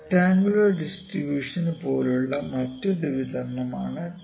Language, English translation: Malayalam, This is another distribution like rectangular distribution that is triangular distribution